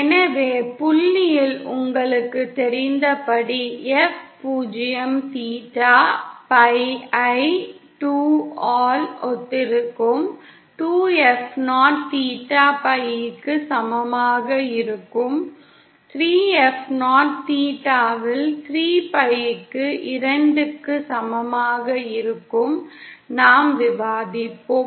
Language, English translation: Tamil, So as you know at the point F 0 theta will correspond to pi by 2 and at 2F0 theta will be equal to pi, at 3F0 theta will be equal to 3pi by 2, this we just discussed